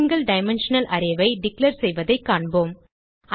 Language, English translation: Tamil, Let us see how to declare single dimensional array